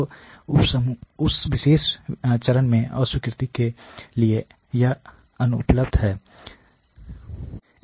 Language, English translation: Hindi, So, its unavailable to rejection at that particular stage